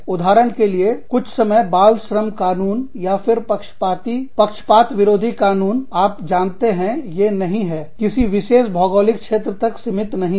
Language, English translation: Hindi, For example, child labor laws, are sometimes, even discriminatory, anti discriminatory laws are, again, you know, they do not, they are not confined, to any particular geographical region